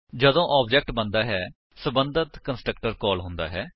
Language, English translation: Punjabi, When the object is created, the respective constructor gets called